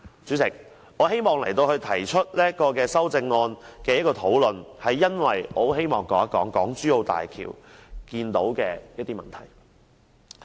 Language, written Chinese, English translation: Cantonese, 主席，我提出此修正案，是因為我希望說說港珠澳大橋的一些問題。, Chairman I bring out this amendment because I want to talk about some issues of the HZMB